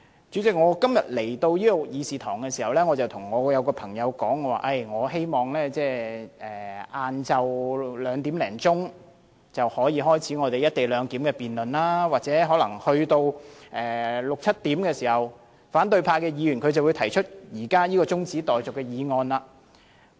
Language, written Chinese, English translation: Cantonese, 主席，我今天前來會議廳途中，曾跟朋友說希望下午兩時多可以開始"一地兩檢"的辯論，而在六七時左右，反對派議員可能會提出現時這項中止待續議案。, I am totally against it . President on my way to the Chamber earlier today I told my friend that this Council could hopefully start the debate on the co - location arrangement at around 2col00 pm to 3col00 pm and opposition Members might propose an adjournment motion at around 6col00 pm to 7col00 pm